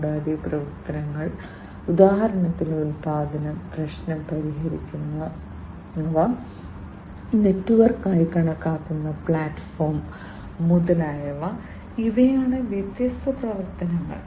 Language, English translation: Malayalam, And the activities, activities for example production, problem solving, platform that is considered the network etcetera, these are the different activities